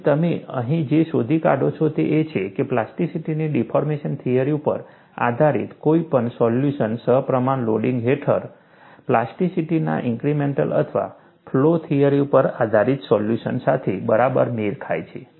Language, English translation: Gujarati, And what you find here is, any solution based on the deformation theory of plasticity, coincides exactly with a solution based on the incremental or flow theory of plasticity, under proportional loading